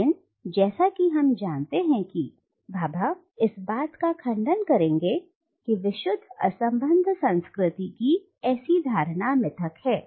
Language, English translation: Hindi, But as we know Bhabha would contend that such a notion of pure uncontaminated culture is a myth